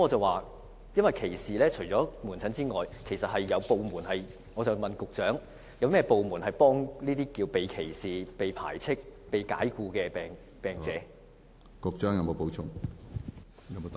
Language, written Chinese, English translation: Cantonese, 我的問題是，除了提供門診服務外，請問局長，有甚麼部門可以向這些被歧視、被排斥、被解僱的病者提供協助？, My question is Other than the provision of outpatient services which government departments will provide assistance to psychiatric patients who are discriminated against ostracized and dismissed?